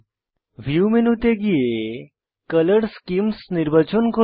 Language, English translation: Bengali, Go to View menu and select Color schemes